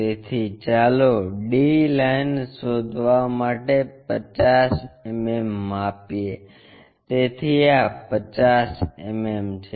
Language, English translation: Gujarati, So, let us measure 50 mm to locate d lines, so this is 50 mm